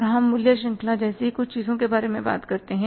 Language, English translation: Hindi, Then you talk about certain things like value chain